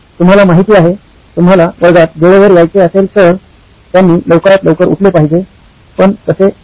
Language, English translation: Marathi, You know If you want to come on time in class, they should wake up early as simple as that but apparently not